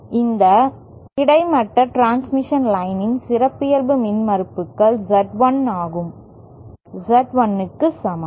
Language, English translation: Tamil, And the characteristic impedances of this horizontal transmission line is equal to Z 1